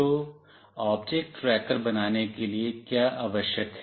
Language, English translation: Hindi, So, what is the requirement for building an object tracker